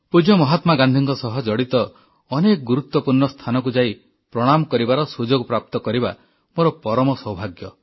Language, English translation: Odia, I have been extremely fortunate to have been blessed with the opportunity to visit a number of significant places associated with revered Mahatma Gandhi and pay my homage